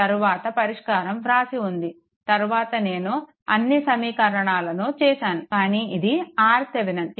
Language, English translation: Telugu, Later solution is there; later, I have made it, but this is R Thevenin